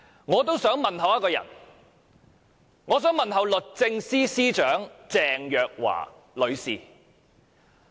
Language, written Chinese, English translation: Cantonese, 我也想問候一個人，我想問候律政司司長鄭若驊女士。, I also want to give my regards to a person . I want to give my regards to the Secretary for Justice Ms Teresa CHENG